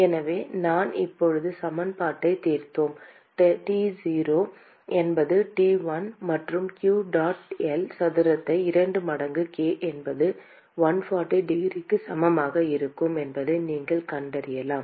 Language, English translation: Tamil, So, we solved the equation just now, you can find out that T0 will be T1 plus q dot L square by 2 times k is equal to 140 degrees